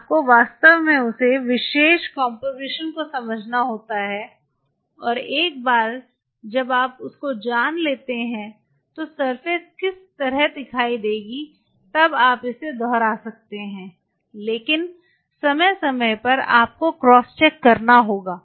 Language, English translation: Hindi, When you have to really learn and once you exactly learn with that particular composition the surface will look like this then you can repeat it, but time to time you have to cross check